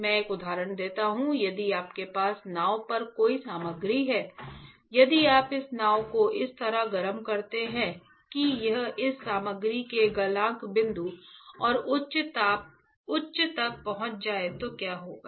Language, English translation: Hindi, I just give an example right; if you have a material on the boat if you heat this boat such that it reaches the melting point of this material melting point of this material and high, then what will happen